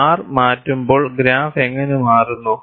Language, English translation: Malayalam, And when R is changed, how does the graph changes